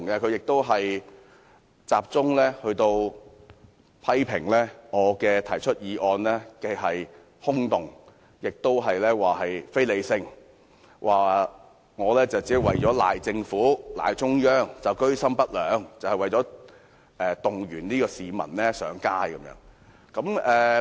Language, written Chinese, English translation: Cantonese, 他集中批評我的議案空洞和非理性，說我居心不良，提出議案只是為了把責任推卸給政府和中央，以及動員市民上街。, He focused on criticizing my motion for being vacuous and irrational saying that I was ill - intentioned and moved the motion only for the purposes of passing the buck to the Government and the Central Authorities and mobilizing people to take to the streets